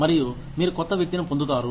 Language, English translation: Telugu, And, you get a new person in